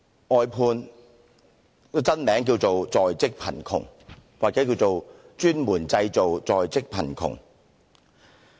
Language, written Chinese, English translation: Cantonese, 外判的真名叫作"在職貧窮"或"專門製造在職貧窮"。, The real name of outsourcing is in - work poverty or specialist in creating in - work poverty